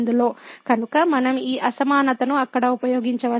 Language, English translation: Telugu, So, we can use this inequality there